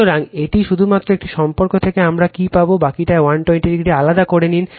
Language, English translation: Bengali, So, this is your just from one relationship we will get it, rest you take that is your 120 degree apart right